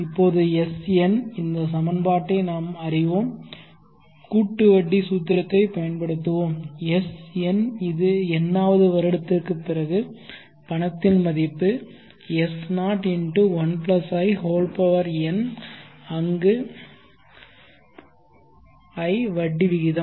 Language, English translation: Tamil, Now Sn we know this equation Sn we will use the compound interest formula Sn that is the value of the money after the nth year is S0(1+In) where I is the rate of interest